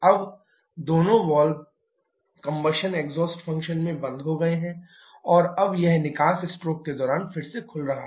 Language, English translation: Hindi, Now both valves are closed in combustion exhaust function and now it is opening again during exhaust stroke